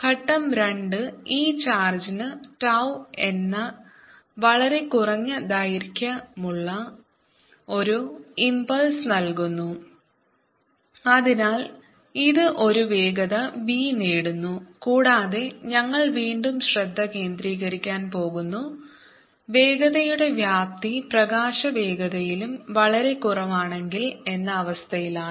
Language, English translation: Malayalam, step two gave and impulse of very short duration, tau to this charge so that it gain a velocity v, and again we want to focus on the cases where the magnitude of the velocity is much, much less then this field of light